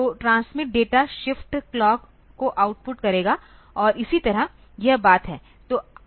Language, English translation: Hindi, So, the transmit data will output the shift clock and so, this is the thing